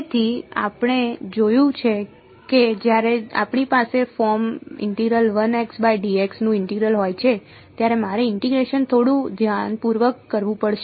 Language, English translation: Gujarati, So, we have seen that when we have integral of the form 1 by x dx, I have to do the integration little bit carefully